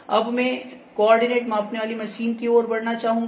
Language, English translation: Hindi, Now, I would like to move to the coordinate measuring machine